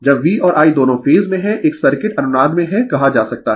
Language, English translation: Hindi, When V and I both are in phase a circuit can be said that is in resonance right